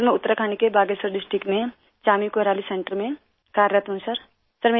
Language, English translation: Hindi, Sir, I work at the Chaani Koraali Centre in Bageshwar District, Uttarakhand